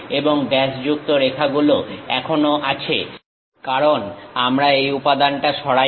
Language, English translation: Bengali, And dashed lines still present; because we did not remove that material